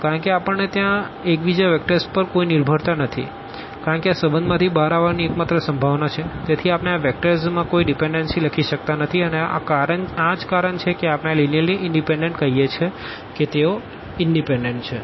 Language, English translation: Gujarati, Because we can there is no dependency on the vectors on each other because that is the only possibility coming out of this relation, so we cannot write any dependency among these vectors and that is the reason we call this linear independence that they are independent